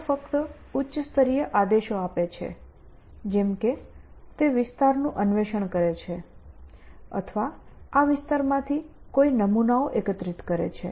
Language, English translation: Gujarati, is that they give high level commands go and explore that area or go and collect samples of this in from this area